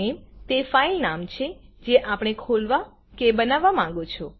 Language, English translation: Gujarati, filename is the name of the file that we want to open or create